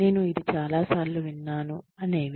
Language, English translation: Telugu, I have heard this, so many times